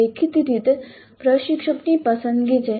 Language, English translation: Gujarati, Again this is the choice of the instructor